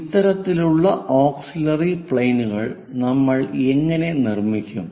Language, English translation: Malayalam, How do we construct this kind of auxiliary planes